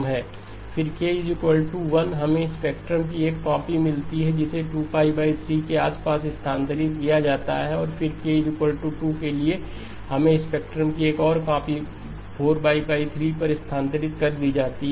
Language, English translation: Hindi, Then K equal to 1, we get a copy of the spectrum shifted and centered around 2pi over 3 and then for the K equal to 2 we get another copy of the spectrum shifted to 4pi over 3 okay